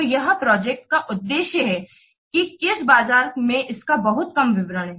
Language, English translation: Hindi, So, this project is aimed at which market, a little bit of that